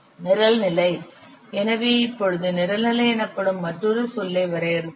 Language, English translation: Tamil, The program level, so now we will define another term called as program level